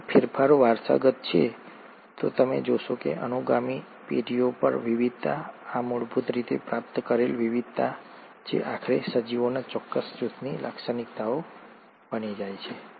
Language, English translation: Gujarati, If these changes are heritable, you will find that over successive generations, the variation, this originally acquired variation which eventually become a characteristic of that particular group of organisms